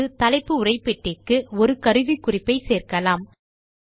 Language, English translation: Tamil, Next, let us add a tool tip to the title text box